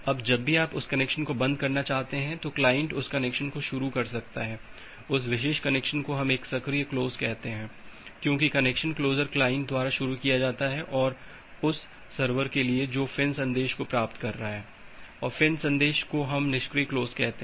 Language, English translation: Hindi, Now, whenever you are wanting to close that connection, the client can initiate the connection that particular connection we call it as an active close, because the connection closure is initiated by the client and for the server who is receiving that finish message FIN message we call that as a passive close